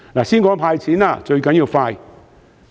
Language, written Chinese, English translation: Cantonese, 先談"派錢"，最重要是快。, Speed is crucial in disbursing cash